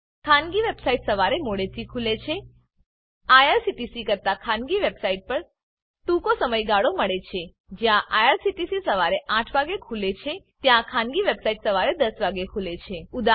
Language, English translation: Gujarati, Private website open late in the morning, Only a shorter time interval is available on Private website than irctc was open in 8 am private website open at 10 am